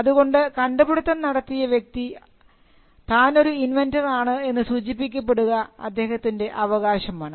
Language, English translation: Malayalam, So, the right to be mentioned as an inventor is a right that the person who came up with the invention enjoys